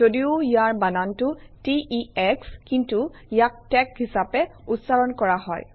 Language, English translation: Assamese, Although it has the spelling t e x, it is pronounced tec